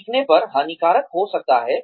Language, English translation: Hindi, Over learning, could be harmful